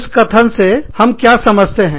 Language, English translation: Hindi, What do, we mean, by the statement